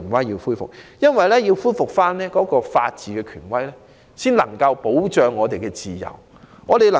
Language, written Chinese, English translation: Cantonese, 只有恢復法治權威，才能保障我們的自由，從而......, Only by rebuilding the authority of the rule of law can our freedom be protected and thus